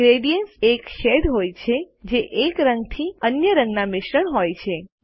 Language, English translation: Gujarati, Gradients are shades that blend from one color to the other